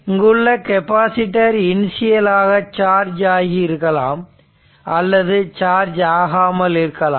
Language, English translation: Tamil, And one is capacitor is there it may be initially charged maybe initially uncharged